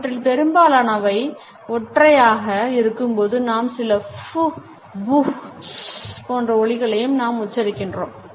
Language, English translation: Tamil, While most are single, we find that some are articulated into phenome like sounds such as pooh, booh, tz tz etcetera